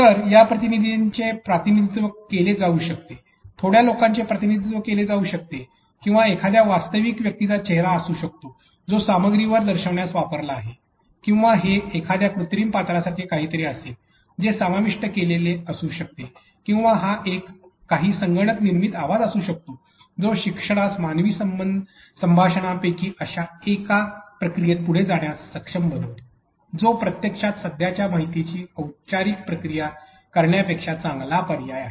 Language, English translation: Marathi, So, these agents can be represented, representation of little people or it could be the face of a real person that is actually happening on being shown on the content or it would be something like an artificial character that has been embedded because or it could be some computer generated voice that allows the learner to be able to move forward in a process that is one of human conversation than a process that is actually a formal of present information